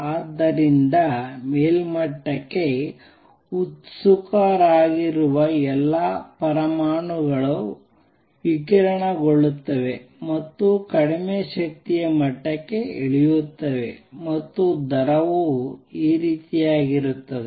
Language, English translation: Kannada, So, all the atoms that have been excited to an upper level would radiate and come down to lower energy level and the rate would be like this